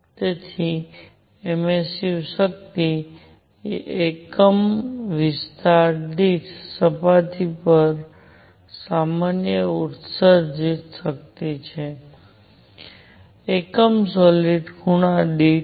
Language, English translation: Gujarati, So, emissive power is power emitted normal to a surface per unit area; per unit solid angle